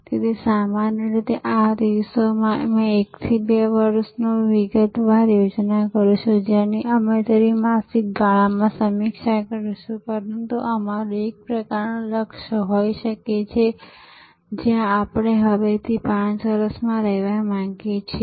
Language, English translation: Gujarati, So, normally these days we will do 1 to 2 years detailed plan which we will review every quarter, but we may have a kind of a Lakshya some aim, where we want to be in 5 years from now